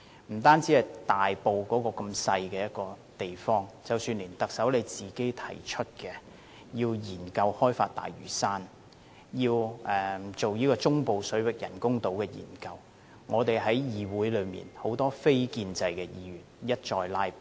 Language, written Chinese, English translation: Cantonese, 不單是針對大埔的一項小型建屋計劃，即使是特首提出要研究開發大嶼山，要進行中部水域人工島的研究，議會內很多非建制的議員都一再"拉布"。, In fact many non - establishment Members have time and again filibustered; their targets are not only restricted to the small housing development project in Tai Po but also the Chief Executives proposed studies on the development of Lantau Island and the artificial islands in the central waters